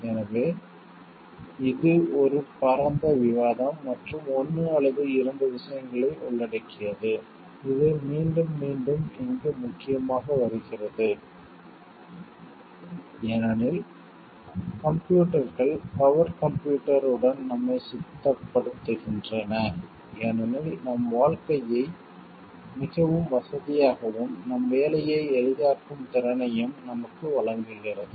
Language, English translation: Tamil, So, it involves a wide facet of discussion and 1 or 2 things which comes up prominently again and again over here, because computers equip us with power, computer equips us with the capability to make our life more comfortable, make our work easy